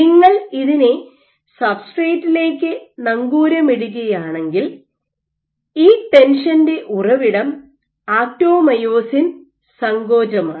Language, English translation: Malayalam, If you anchor it to the substrate the source of this tension is actomyosin contractility